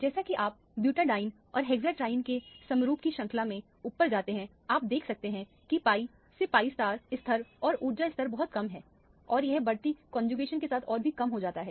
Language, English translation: Hindi, As you go up in the series of the homologous of butadiene to hexatriene, you can see that the pi to pi start level now the energy level is much lower and it gets even further reduced with the increasing conjugation